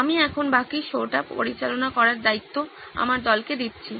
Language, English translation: Bengali, I let the rest of the show being handled by my team here